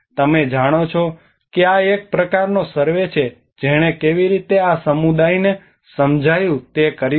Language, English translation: Gujarati, You know this is a kind of survey which have done how the communities have understood this